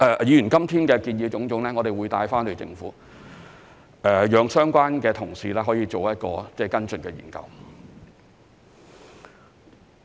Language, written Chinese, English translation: Cantonese, 議員今天的種種建議，我們會帶回去，讓相關同事作跟進研究。, We will take back all the suggestions made by Members today for relevant colleagues to conduct follow - up studies